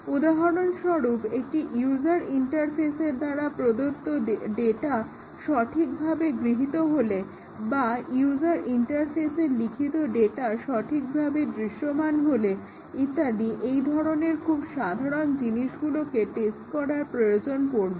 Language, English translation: Bengali, For example, whether data input from a user interface is correctly received or whether the data written by to a user interface is correctly shown and so on that kind of very simple things need to be tested